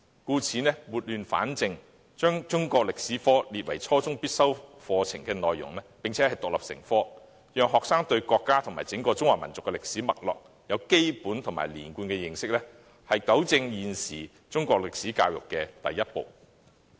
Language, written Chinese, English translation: Cantonese, 因此，撥亂反正，把中史科列為初中必修科並獨立成科，讓學生對國家及整個中華民族的歷史脈絡有基本及連貫的認識，是糾正現時中史教育的第一步。, Therefore to right the wrong the authorities must stipulate Chinese History as a compulsory and independent subject so that students can gain a basic and coherent understanding of the historical development of our country and the entire Chinese nation . That is the first step to rectify the current problems relating to Chinese history education